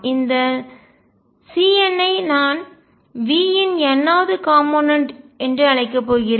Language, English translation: Tamil, And these c ns I am going to call the nth component of v